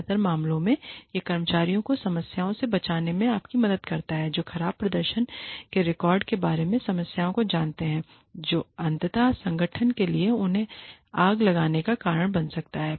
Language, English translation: Hindi, In most cases, it helps, save the employees, from problems in, you know, problems regarding, records of poor performance, that can ultimately become a reason, for the organization, to fire them